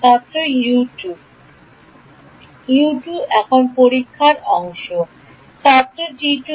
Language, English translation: Bengali, U 2 U 2 what is the testing part now T